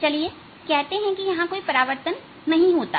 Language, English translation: Hindi, let us say there is no reflection